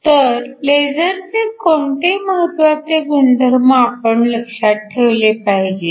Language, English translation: Marathi, So, what are some of the important properties of lasers that you must keep in mind